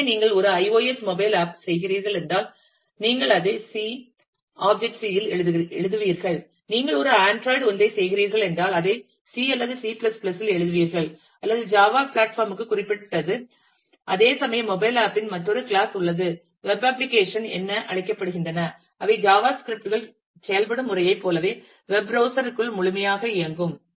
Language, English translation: Tamil, So, for if you are doing an iOS mobile app then you will write it in object C, objective C if you are doing an android one you will write it in C or C++ or java is platform specific whereas, there is another class of mobile apps, which are known as web apps which run completely inside the web browser, so much like the way java scripts work